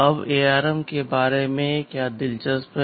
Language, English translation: Hindi, Now what is so interesting about ARM